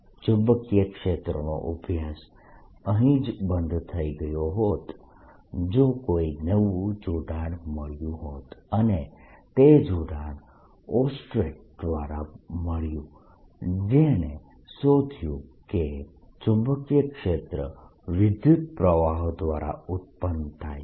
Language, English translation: Gujarati, alright, this is where the study of magnetic field would have stopped if a new connection was not found, and that connection was found by oersted, who found that magnetic field is produced by currents